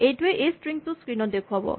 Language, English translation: Assamese, This will display this string on the screen